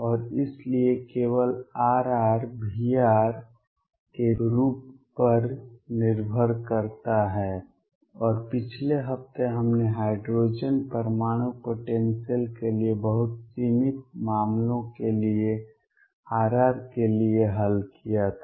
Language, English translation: Hindi, And therefore, only R r depends on the form of v r, and last week we had solved for R r for very limited cases for the hydrogen atom potential